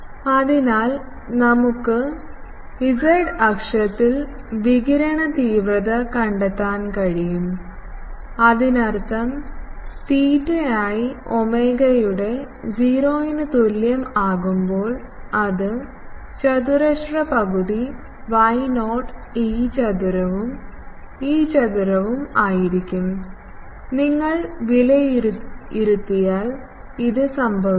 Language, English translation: Malayalam, So, we can find the radiation intensity at z axis; that means, dP by d omega at theta is equal to 0 that will r square half y not E theta square plus E phi square this, if you evaluate will come to be